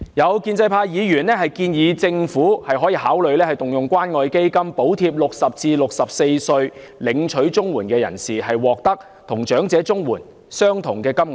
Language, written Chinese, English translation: Cantonese, 有建制派議員建議政府考慮動用關愛基金補貼60至64歲的領取綜援人士，令他們獲得與長者綜援相同的金額。, Some Members from the pro - establishment camp suggested the Government to consider providing subsidies to CSSA recipients aged 60 to 64 under the Community Care Fund so that they will get an aggregate amount equivalent to elderly CSSA